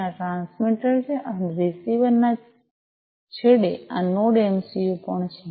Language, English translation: Gujarati, And this is this transmitter and also this Node MCU at the receiver end, right